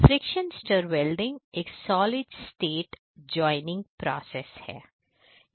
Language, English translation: Hindi, So, friction stir welding is a solid state joining process